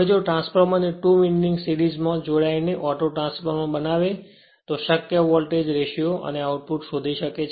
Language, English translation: Gujarati, Now if the 2 windings of the transformer are connected in series to form as auto transformer find the possible voltage ratio and output right